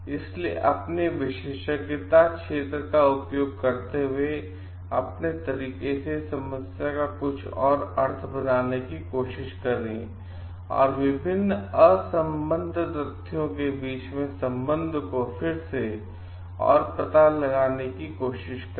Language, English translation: Hindi, So, and using their area of expertise they try to make meaning of something in the own way, and try to revisit the problem and to find out like the connection between different unconnected facts